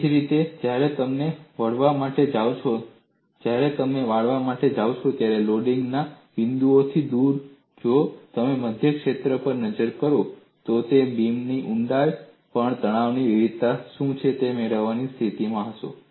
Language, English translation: Gujarati, Similarly, when you go for bending, away from the points of loading, if you look at the central zone, you will be in a position to get what is the variation of stress over the depth of the beam